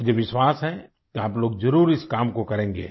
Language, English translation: Hindi, I am sure that you folks will definitely do this work